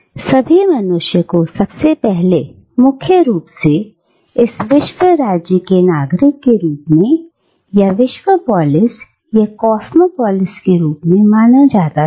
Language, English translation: Hindi, And all human beings were regarded, first and foremost, as citizens of this world state, or world polis, or cosmo polis